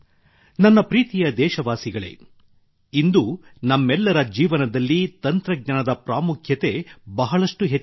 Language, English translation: Kannada, My dear countrymen, today the importance of technology has increased manifold in the lives of all of us